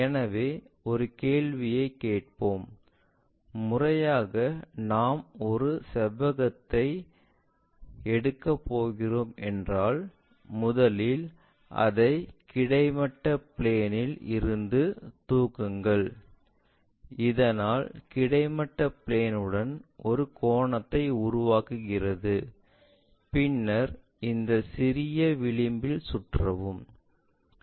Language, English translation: Tamil, So, let us ask a question, systematically, if we are going to take a rectangle first lift it up from the horizontal plane, so that it makes an angle with the horizontal plane, then rotate around this small edge